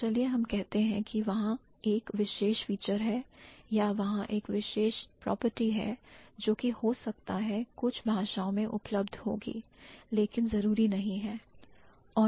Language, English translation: Hindi, So, let's say there is a particular feature or there is a particular property which might be available in certain languages, but it's not necessary